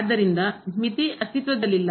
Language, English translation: Kannada, And therefore, the limit does not exist